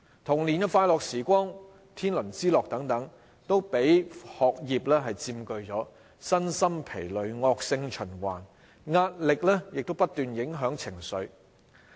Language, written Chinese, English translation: Cantonese, 童年的快樂時光、天倫之樂等，都被學業佔據，身心疲累、惡性循環，壓力亦不斷影響情緒。, Their happy childhood moments and family lives are preoccupied by schoolwork . They are physically and mentally exhausted